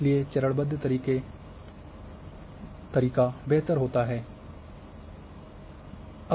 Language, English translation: Hindi, Therefore, it is better to go step by step